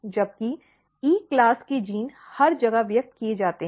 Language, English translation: Hindi, Whereas, E class genes are basically expressed everywhere